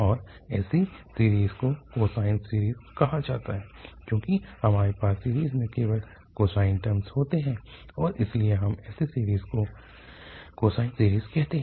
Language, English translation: Hindi, And such a series is called cosine series because we have only the cosine terms in the series and therefore we call such a series as cosine series